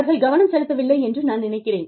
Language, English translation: Tamil, I think, they are not paying attention